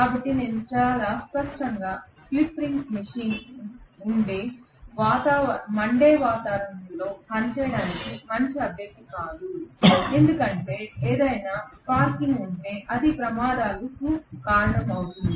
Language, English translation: Telugu, So very clearly even slip ring machine is not a good candidate for working in inflammable environment, because if there is any sparking it is going to be hazardous right